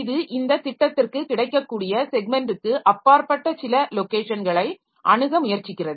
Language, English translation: Tamil, It is going to, it is trying to access some location which is beyond the segment that is available for this program